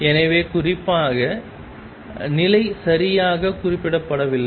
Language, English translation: Tamil, So, notely the position is not specified exactly